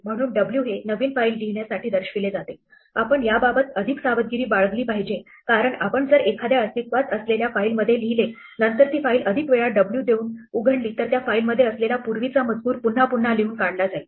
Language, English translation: Marathi, So, ‘w’ stands for write out a new file, we have to be bit careful about this because if we write out a file which already exits then opening it with more ‘w’ will just overwrite the contents that we already had